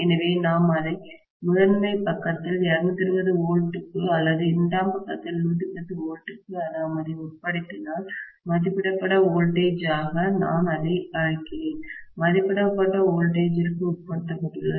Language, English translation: Tamil, So, if we subject it to 220 volts on the primary side, or 110 volts on the secondary side, I call that as rated voltage, it is being subjected to rated voltage, right